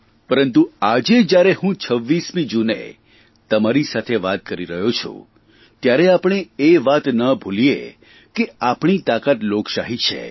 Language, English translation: Gujarati, But today, as I talk to you all on 26th June, we should not forget that our strength lies in our democracy